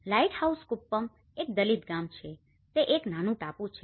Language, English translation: Gujarati, Lighthouse Kuppam is a Dalit village, its a small island